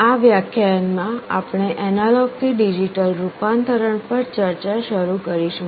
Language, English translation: Gujarati, In this lecture, we shall be starting our discussion on Analog to Digital Conversion